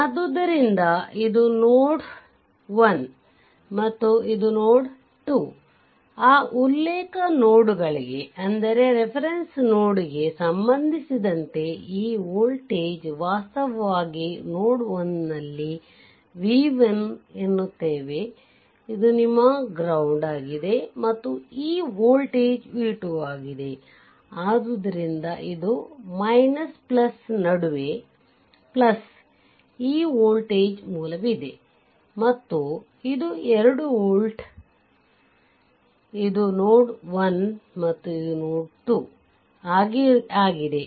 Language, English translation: Kannada, So, this voltage; this voltage actually your your what to call v 1 at node 1, this is your ground this is your ground whatever it is right and this voltage is your v 2, right, this is your v 2